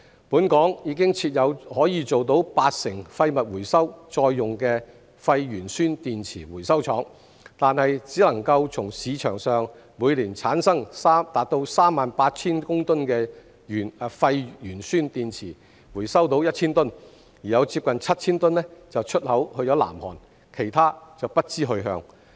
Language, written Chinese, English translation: Cantonese, 本港已設有可做到八成廢物回收再用的廢鉛酸電池回收廠，但只能從市場上每年產生達 38,000 公噸的廢鉛酸電池中回收到 1,000 公噸，另有接近 7,000 公噸出口至南韓，其他則不知去向。, In spite of the establishment of local recycling plants for waste lead - acid batteries which are capable of recycling 80 % of waste only 1 000 tonnes out of the annual production of 38 000 tonnes of waste lead - acid batteries on the market could be recovered and nearly 7 000 tonnes were exported to South Korea while the rest could not be traced